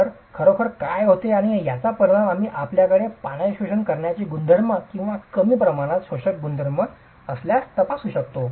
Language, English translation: Marathi, So, what really happens and the effect of this we can examine if you have very high water absorption properties or very low water absorption properties